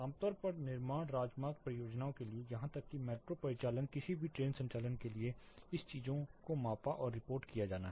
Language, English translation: Hindi, Typically for construction highway projects, even metro operations any train operation this things has to be measured and reported